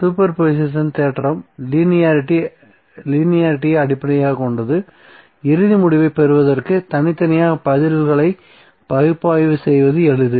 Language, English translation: Tamil, And super position theorem is based on linearity, so it is easier to analyze and then at the responses individually to get the final outcome